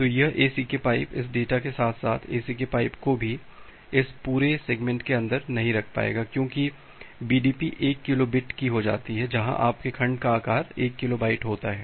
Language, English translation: Hindi, So, this ACK pipe this data plus ACK pipe it will not be able to hold this entire segment inside that because BDP comes to be 1 kilo bit where as your segment size is 1 kilo byte